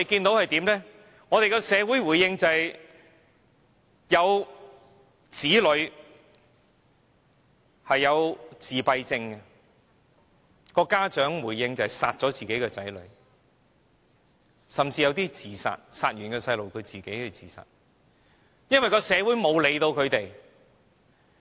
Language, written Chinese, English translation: Cantonese, 所以，我們看到有子女患有自閉症的家長殺掉自己的子女，甚至殺掉自己的子女後自殺的個案，因為社會沒有理會他們。, We thus came across a case in which the parents killed their autistic children and then committed suicide . The indifference in society leads to such tragedies